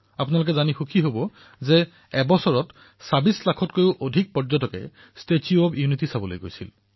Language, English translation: Assamese, You will be happy to note that in a year, more than 26 lakh tourists visited the 'Statue of Unity'